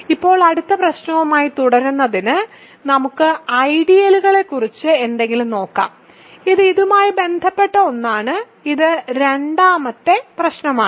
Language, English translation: Malayalam, So now, to continue with the next problem, let us look at something about ideals and this is something that is related to, so, this is the second problem